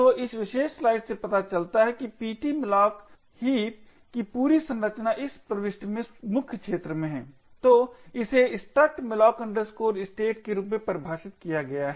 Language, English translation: Hindi, So, this particular slide shows the entire structure of ptmalloc heap this particular entry over here is the main arena, so it is define as the struct malloc state